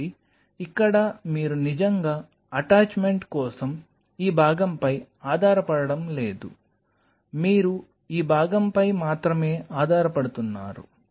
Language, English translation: Telugu, So, here you are not really relying on this part for the attachment you realize it, you are only relying on this part